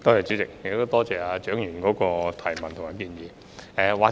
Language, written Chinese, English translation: Cantonese, 主席，多謝蔣議員的補充質詢及建議。, President I thank Dr CHIANG for her supplementary question and suggestions